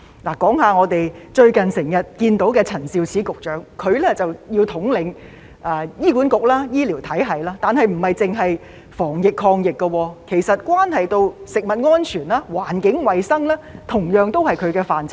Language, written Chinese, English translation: Cantonese, 例如我們最近經常看到的陳肇始局長，她要統領醫院管理局和醫療體系，但當中不止是防疫抗疫工作，其實食物安全、環境衞生都是她負責的範疇。, One example is Secretary Prof Sophia CHAN whom we often see these days . While she needs to take charge of the Hospital Authority and the healthcare system food safety and environmental hygiene also fall within her purview in addition to the anti - pandemic work